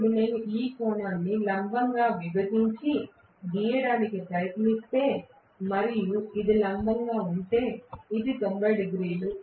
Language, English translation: Telugu, Now, if I try to just draw perpendicular bisecting this angle and this is the perpendicular, this is 90 degrees, right